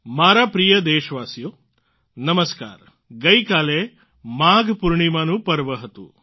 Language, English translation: Gujarati, Yesterday was the festival of Magh Poornima